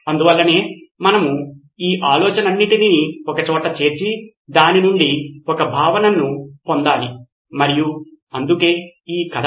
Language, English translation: Telugu, So that’s why we need to sort of put all these ideas together and get a concept out of it and that’s why this story